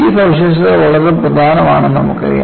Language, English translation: Malayalam, These features are very important